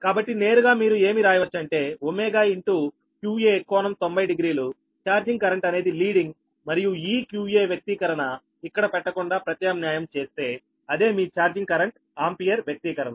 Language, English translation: Telugu, you can write omega, q, a angle, ninety degree, charging current is leading, and this q, a expression, if you substitute, not putting it here that is the expression of the, your charging current, ampere, right